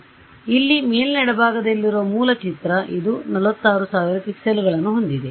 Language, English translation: Kannada, So, this is the original picture over here top left this is the original which has some how many 46000 pixels